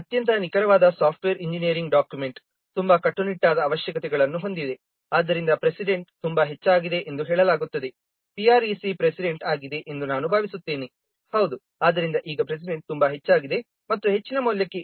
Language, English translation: Kannada, It is a very precise software engineering document lays down very strict requirements okay a very precise software engineering document lays down very strict requirements so it's said that that precedent is very high yes PRC is the president I think yes so now precedent is very high and for high value it is 1